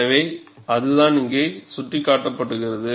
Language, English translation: Tamil, So, that is what is indicated here